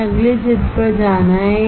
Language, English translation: Hindi, Let us go to next figure